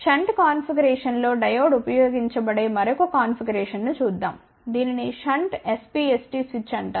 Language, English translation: Telugu, Let just see another configuration where Diode is used in shunt configuration this is known as shunt SPST switch ok